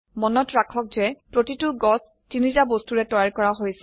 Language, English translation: Assamese, Now remember, each tree is made up of three objects